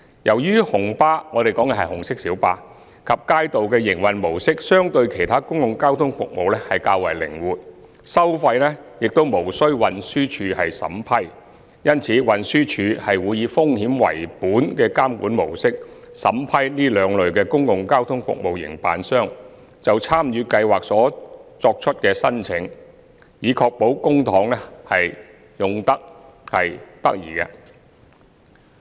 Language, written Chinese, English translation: Cantonese, 由於紅巴及街渡的營運模式相對其他公共交通服務較為靈活，收費亦無須運輸署審批，因此運輸署會以風險為本的監管模式，審批這兩類公共交通服務營辦商就參與計劃所作出的申請，以確保公帑運用得宜。, Since the operation modes of RMBs and Kaitos are relatively flexible when compared with those of other public transport services and their fares do not require TDs approval TD has to adopt a risk - based monitoring approach when processing applications for joining the Scheme from the operators of these two modes of public transport services to ensure the prudent use of public money